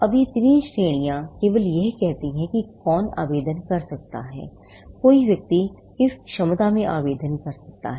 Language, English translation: Hindi, Now, these three categories only say who can apply; in what capacity a person can apply